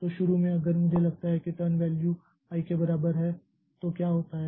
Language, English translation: Hindi, So, initially if I assume that turn value is equal to i, then what happens